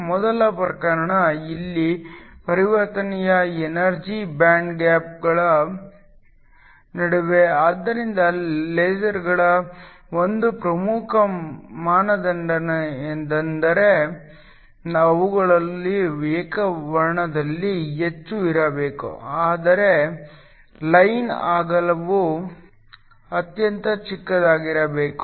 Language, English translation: Kannada, The first case, here the transition is between energy bands, so one of the important criteria of lasers is that they should be highly in monochromatic, which means line width, should be extremely small